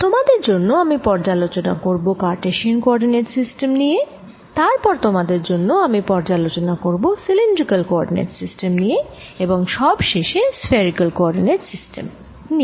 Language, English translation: Bengali, i am going to review for you cartesian coordinate system, i am going to use for review for you the cylindrical coordinate system and finally the spherical coordinate system